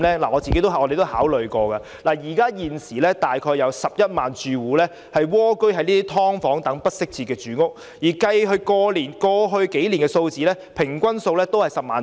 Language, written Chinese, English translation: Cantonese, 我們也曾考慮，現時大概有11萬個住戶蝸居於"劏房"等不適切住房，連同過去數年的數字，平均數約為10萬。, We have considered this carefully . There are now about 110 000 households living in inadequate housing conditions like subdivided units . The average number of such households in the previous several years was about 100 000